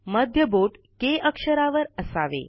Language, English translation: Marathi, Middle finger on the alphabet K